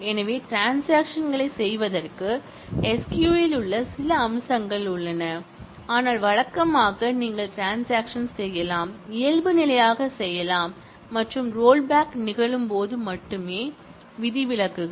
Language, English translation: Tamil, So, there are some features in the SQL for doing transactions and, but usually you can transactions, commit by default and the only it is exceptions, when the rollback is happening and we will see more of that later